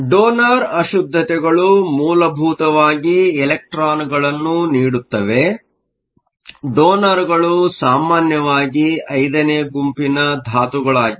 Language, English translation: Kannada, Donor impurities basically produce electrons if we go back to the class; donors are typically group 5 elements